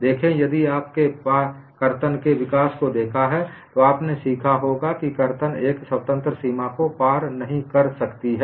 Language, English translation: Hindi, See, if you have looked at the development of shear, you would have learnt shear cannot cross a free body